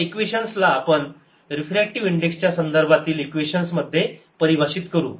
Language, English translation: Marathi, let us translate this equations to equations in terms of the refractive index